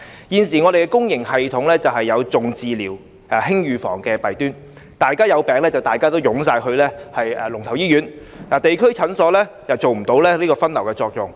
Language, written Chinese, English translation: Cantonese, 現時香港公營醫療系統有"重治療、輕預防"的弊端，大家有病也會湧向龍頭醫院，地區診所無法發揮分流作用。, The public healthcare system in Hong Kong has the problem of emphasizing treatment over prevention . People go to leading hospitals when they get sick . District clinics cannot serve the function of triaging patients